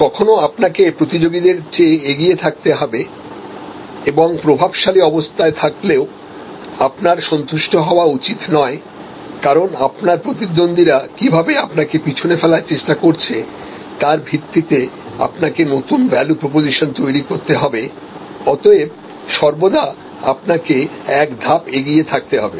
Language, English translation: Bengali, Some time you should be I ahead of your competitors and not become pleasant if you are in a dominant position do not actually become pleasant you create new value proposition is respective of what where you are knowing that your competitors are always biting at your heels, so therefore, you need to be always one up